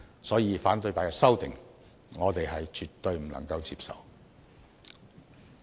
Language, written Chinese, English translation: Cantonese, 因此，反對派的修訂，我們絕對不能接受。, Thus I definitely cannot accept the amendments proposed by opposition Members